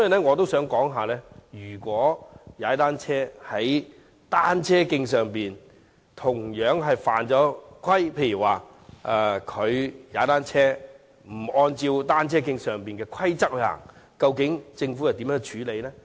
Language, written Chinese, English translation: Cantonese, 我想問，如果在單車徑上踏單車的人同樣犯規，例如沒有遵守單車徑上的規則，究竟政府會如何處理？, I have this question How will the Government handle cyclists breaking the rules when cycling on cycle tracks such as disobeying the rules of the cycle tracks?